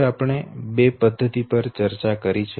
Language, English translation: Gujarati, Now two methods we have discussed no